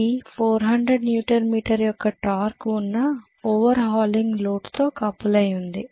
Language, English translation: Telugu, It is driving a load oh it is coupled to on over hauling load with a torque of 400 Newton meter